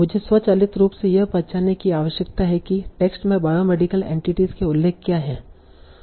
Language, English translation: Hindi, I need to automatically identify what are the mentions of biomedical entities in the text